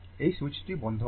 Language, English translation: Bengali, This switch is closed right